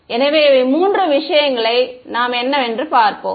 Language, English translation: Tamil, So, these are the three things